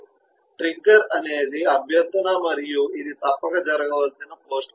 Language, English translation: Telugu, trigger is the request and this is the post condition that must happen